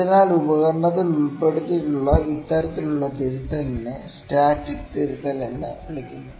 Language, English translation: Malayalam, So, this kind of correction that is inculcated to the instrument is known as static correction, static correction